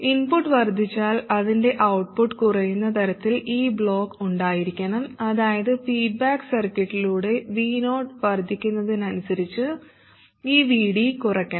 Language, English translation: Malayalam, And this block should be such that its output reduces if the input increases that is this VD must reduce as V0 increases through the feedback circuit